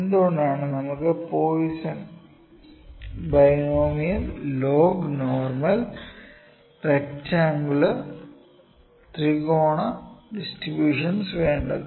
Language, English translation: Malayalam, Why do we need for Poisson, binomial, log normal, rectangular, triangular all the distributions